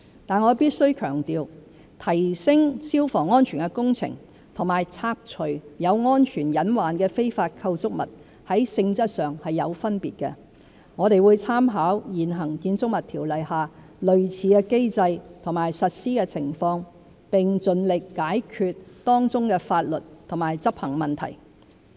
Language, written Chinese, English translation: Cantonese, 但我必須強調，提升消防安全的工程和拆除有安全隱患的非法構築物在性質上有分別，我們會參考現行《建築物條例》下類似的機制和實施情況，並盡力解決當中的法律和執行問題。, However I must emphasize that improvement works for fire safety and removal of illegal structures with potential safety hazards are different in nature . We will make reference to a similar mechanism and its implementation under the prevailing Buildings Ordinance and will do our best to resolve the legal and enforcement issues involved